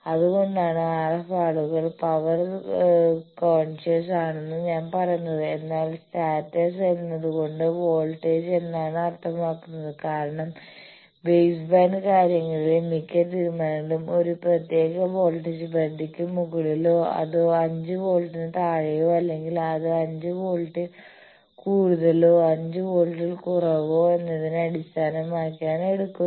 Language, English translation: Malayalam, They are power conscious whereas, status means the voltage because most of the decisions in the baseband things, they are taken by whether a certain thing is above a particular voltage threshold or below 5 volt or it is more than 5 volt or less than 5 volt more than 2